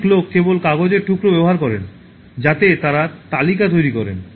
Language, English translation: Bengali, Many people just use simple piece of paper in which they make list